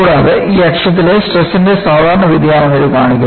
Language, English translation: Malayalam, And, this shows the typical variation of the stresses on this axis